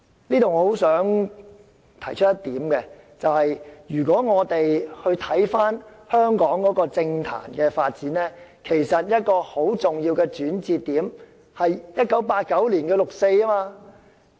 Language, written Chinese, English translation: Cantonese, 就此，我十分希望提出一點，便是如果我們回看香港政壇的發展，其實一個很重要的轉捩點，是1989年的六四事件。, I am eager to raise a point in response to her remark . When we look into the Hong Kong history we will find a significant turning point in its political development the 4 June Incident